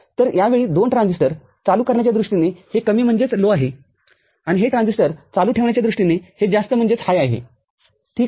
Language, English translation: Marathi, So, this time this is low in terms of making this on these two transistors on, and this is high in terms of making this transistor on, ok